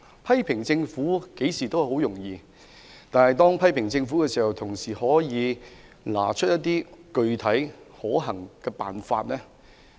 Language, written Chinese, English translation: Cantonese, 批評政府相當容易，但我們在批評政府時，也可以提出一些具體可行的方法。, It is easy to criticize the Government; but while criticizing the Government we can also offer specific and practicable suggestions